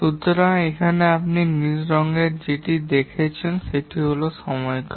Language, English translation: Bengali, So, the one that you see in the blue here, this is the duration